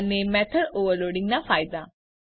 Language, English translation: Gujarati, And advantage of method overloading